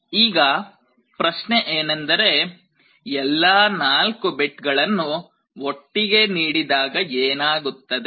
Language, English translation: Kannada, Now, the question is when all the 4 bits are applied together, what will happen